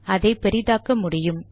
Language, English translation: Tamil, I can make it bigger